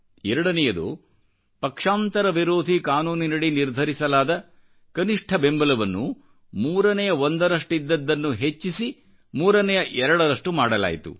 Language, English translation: Kannada, And the second one is that the limit under the Anti Defection Law was enhanced from onethirds to twothirds